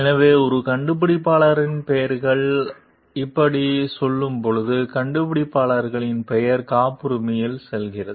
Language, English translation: Tamil, So, when an inventor's names goes like; inventors name goes on the patent